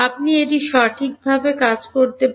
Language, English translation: Bengali, You can work it out right